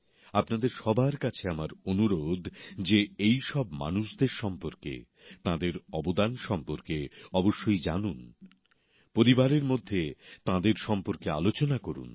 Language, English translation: Bengali, I urge all of you to know more about these people and their contribution…discuss it amongst the family